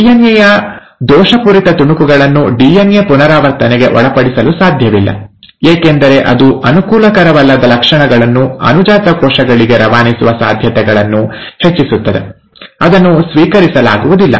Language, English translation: Kannada, A cell cannot afford to allow a faulty piece of DNA to undergo DNA replication because then, it will enhance the chances of passing on the non favourable characters to the daughter cells, which is not accepted